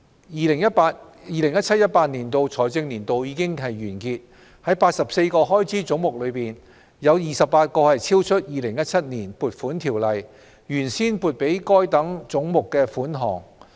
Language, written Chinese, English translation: Cantonese, " 2017-2018 財政年度已經完結，在84個開支總目中，有28個超出《2017年撥款條例》原先撥給該等總目的款項。, For 28 of the 84 heads of expenditure the expenditure has exceeded the sum originally appropriated for these heads in the Appropriation Ordinance 2017